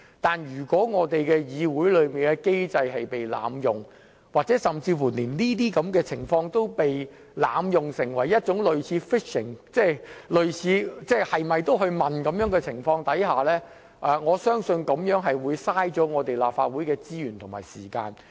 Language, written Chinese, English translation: Cantonese, 但如果議會的機制被濫用，甚或出現類似 "fishing" 的濫用情況，即類似胡亂要求提供資料的情況下，我相信這樣會浪費立法會的資源和時間。, If the mechanism of the Council is abused or if there is an abuse resembling fishing that is a random request for provision of information I believe it will waste the time and resources of the Council